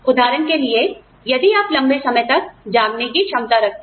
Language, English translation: Hindi, For example, if you have the ability to stay, awake for longer hours